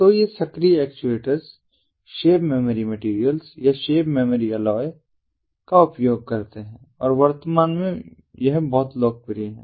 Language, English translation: Hindi, so these active actuators use shape memory materials or shape memory alloys, smas, and this is very popular at present